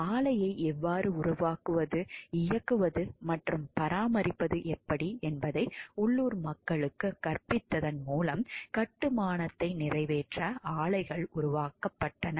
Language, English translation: Tamil, Plants were made to accomplish the construction by teaching local people how to build operate and maintain the plant themselves